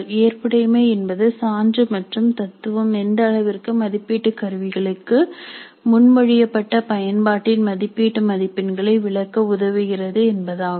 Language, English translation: Tamil, The validity is the degree to which evidence and theory support the interpretation of evaluation scores for proposed use of assessment instruments